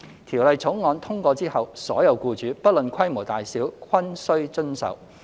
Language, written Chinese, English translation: Cantonese, 《條例草案》通過後，所有僱主，不論規模大小，均須遵守。, When the Bill is passed all employers shall abide by it regardless of the scale of their business